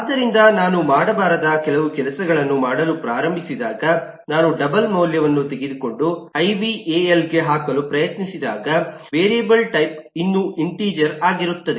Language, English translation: Kannada, so when I start doing certain things that, eh, I should probably not doing, I take a double value and try to put to ival, the type of the variable is still hold on to be of integer